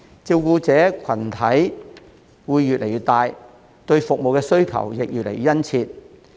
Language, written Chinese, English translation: Cantonese, 照顧者群體會越來越大，對服務需求也會越來越殷切。, As the group of people requiring care grows in size service demand will also increase